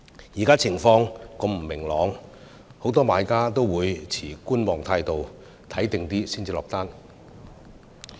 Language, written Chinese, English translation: Cantonese, 現時情況如此不明朗，很多買家也持觀望態度，看清楚再下訂單。, With such uncertainties a lot of buyers are waiting on the sidelines and holding back from placing orders until the situation becomes clear